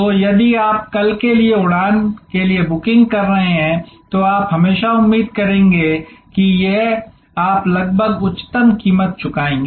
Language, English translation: Hindi, So, if you are booking for a flight for tomorrow, then you will always expect that this, you will be almost paying the highest price